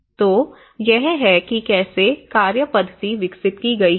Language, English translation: Hindi, So, this is how the working methodology has been developed